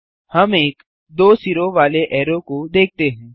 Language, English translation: Hindi, We see a double headed arrow